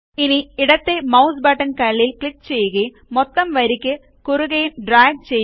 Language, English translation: Malayalam, Now hold down the left mouse button on this cell and drag it across the entire row